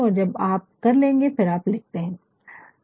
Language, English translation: Hindi, And, when you have done that then write